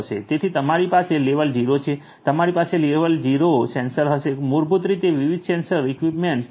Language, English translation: Gujarati, So, you have level 0 you are going to have level 0 sensors basically the you know having different sensor equipments level 0